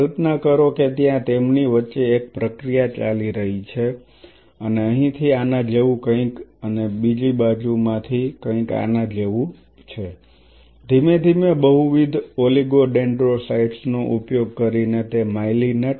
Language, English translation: Gujarati, So, it will form a sandwich just imagine in between there is a process going on and from here something like this and another direction something like this, slowly using multiple oligodendrocytes you will it will myelinate